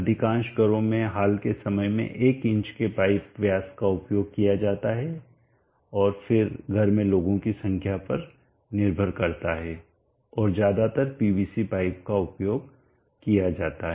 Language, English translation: Hindi, Now let us talk about the pipe diameter, most of the homes recent times use pipe diameter of 1inch and again depending upon the number of people in the household and mostly PVC pipes are used